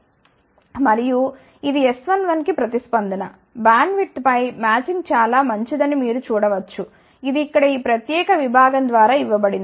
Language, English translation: Telugu, And, this is the response for S 1 1, you can see that the matching is fairly decent over the bandwidth, which is given by this particular section here